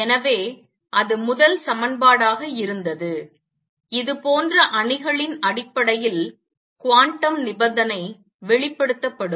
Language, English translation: Tamil, So, that was the first equation; the quantum condition expressed in terms of matrices like this